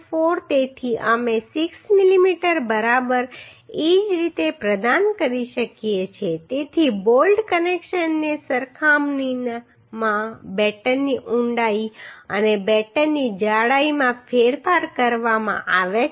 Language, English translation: Gujarati, 4 so we can provide 6 mm right similarly so the batten depth and batten thickness has been changed with means with compared to the bolt connections